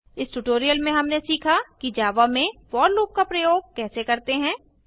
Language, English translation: Hindi, In this tutorial we have learnt how to use for loop in java